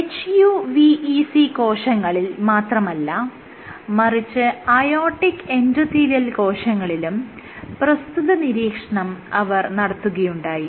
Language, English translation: Malayalam, So, this was this they observed not only in HUVEC cells, but also in aortic endothelial cell